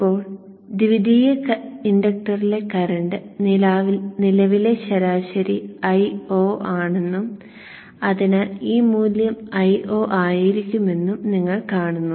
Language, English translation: Malayalam, Now you see that in the secondary the inductor current average was i0 and therefore this value would have been i0